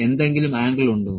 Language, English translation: Malayalam, Is there any angle